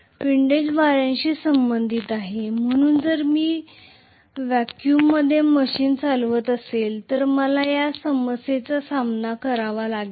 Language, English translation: Marathi, Windage is associated with wind, so if I am running the machine in vacuum I will not face this problem